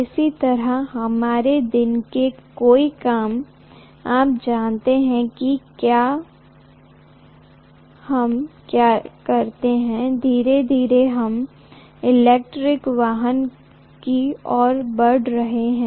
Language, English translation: Hindi, Similarly many of our day to day you know work that we do, commuting these days, slowly we are moving to electric vehicle